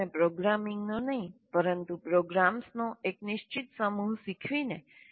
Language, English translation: Gujarati, By making students learn a fixed set of programs, not programming